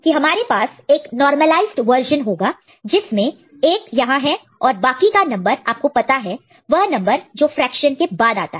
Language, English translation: Hindi, The idea is always we’ll be having in a normalized version a 1 present here and rest is the number of you know, the number of which is after coming after the fraction